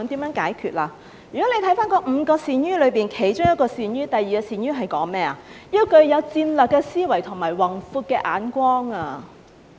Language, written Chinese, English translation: Cantonese, 如果翻看那"五個善於"，其中一個"善於"是要有戰略的思維和宏闊的眼光。, If we refer to the five essential qualities one of them is to have strategic thinking and a broad vision